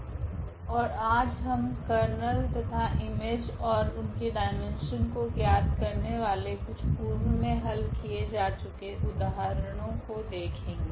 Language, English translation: Hindi, And today, we will see some worked problems where we will find out the Kernel and the image and their dimensions